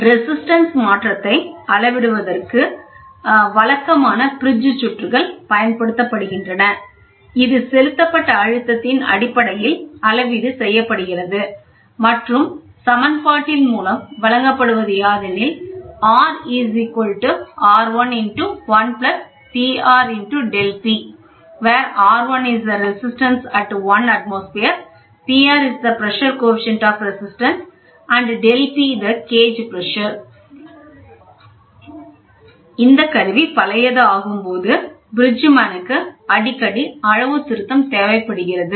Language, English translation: Tamil, The conventional bridge circuits are employed for measuring the change in resistance, which is calibrated in terms of applied pressure which is given by the equation of this; by the Bridgman require frequent calibration as ageing is a problem, ok